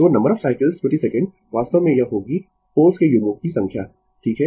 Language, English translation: Hindi, So, number of cycles per second actually it will be number of pair of poles, right